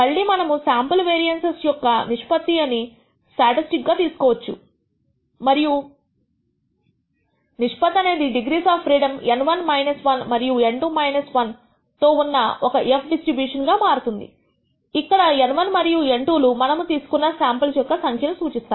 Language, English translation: Telugu, Again we can use the ratio of the sample variances as a test statistic and this ratio turns out to be an f distribution with degrees of freedom N 1 minus 1 and N 2 minus 1 where N 1 and N 2 represents a number of samples we have taken for each of the process